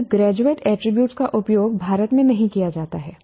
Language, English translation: Hindi, The word graduate attribute is not used as of now in India